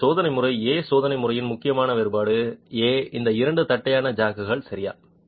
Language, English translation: Tamil, So, test method A, the important difference of test method A are these two flat jacks